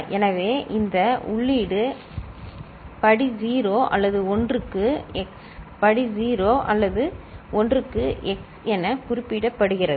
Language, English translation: Tamil, So, this input is represented as x to the power 0 or 1, x to the power 0 or 1